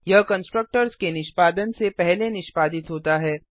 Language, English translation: Hindi, It executes before the constructors execution